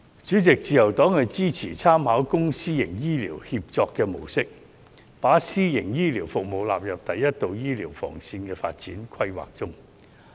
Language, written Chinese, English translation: Cantonese, 主席，自由黨支持參考"公私營醫療協作"模式，把私營醫療服務納入第一道醫療防線的發展規劃中。, President the Liberal Party supports by drawing reference from the mode of public - private healthcare partnership incorporating private healthcare services into the development planning for a first line of defence in healthcare